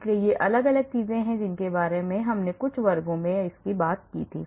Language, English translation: Hindi, So, these are the different things which we talked about in the past few classes